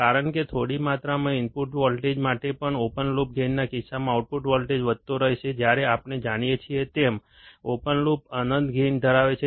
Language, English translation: Gujarati, Because even for a small amount of input voltage, the output voltage will keep on increasing in the case of the open loop gain, where the open loop has infinite gain as we know